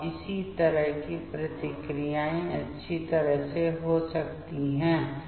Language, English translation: Hindi, And in this way these reactions can nicely take place